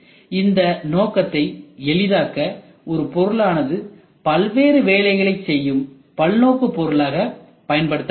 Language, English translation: Tamil, To facilitate this objective multipurpose component may be used multipurpose component a single component which can do multiple jobs